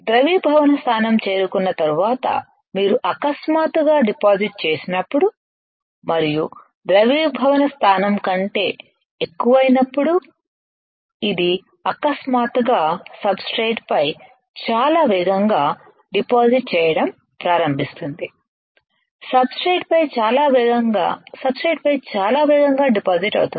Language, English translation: Telugu, You see when you deposit suddenly after the melting point is reached and when we increase greater than melting point this will start suddenly depositing very fast on the substrate, very fast on the substrate like this very fast on the substrate